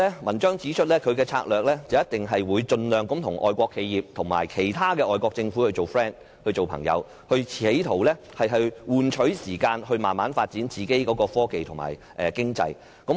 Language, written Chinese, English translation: Cantonese, 文章指出，中國的策略一定會盡量與外國企業及其他外國政府表示友好，企圖換取時間來慢慢發展本身的科技及經濟。, The article predicts that China will surely employ the strategy of making friendship overtures to foreign enterprises and other foreign governments in an attempt to buy for time for the gradual development of its own technologies and economy